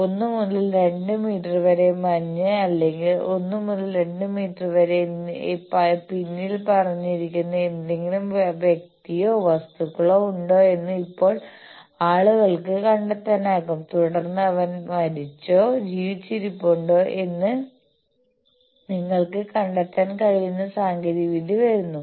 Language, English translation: Malayalam, Now, people can find out whether there is any person or any object which is hidden behind say 1 to 2 meters of snow or 1 to 2 meters of those debris and then technology is coming up by which you can detect whether he is dead or alive